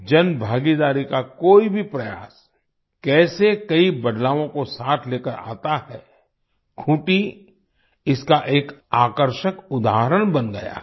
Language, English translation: Hindi, Khunti has become a fascinating example of how any public participation effort brings with it many changes